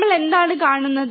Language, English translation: Malayalam, What we see